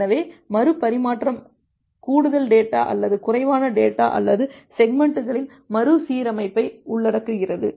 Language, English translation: Tamil, So, retransmission may content additional data or less data or rearrangement of the segments